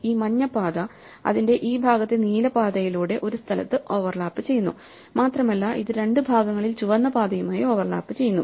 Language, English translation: Malayalam, This yellow path overlaps a part of its way with the blue path in this section and it also overlaps with the red path in 2 portions